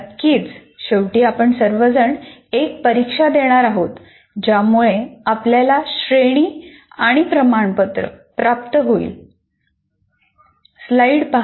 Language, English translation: Marathi, Of course, in the end, all of you will be writing an examination which should lead to the award of a grade and certificate